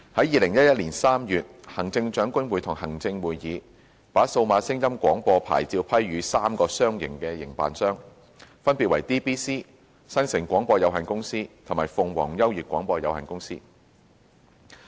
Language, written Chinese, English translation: Cantonese, 2011年3月，行政長官會同行政會議把數碼廣播牌照批予3個商營營辦商，分別為 DBC、新城廣播有限公司及鳳凰優悅廣播有限公司。, In March 2011 the Chief Executive in Council granted DAB licences to three commercial operators namely DBC Metro Broadcast Corporation Limited Metro and Phoenix U Radio Limited Phoenix U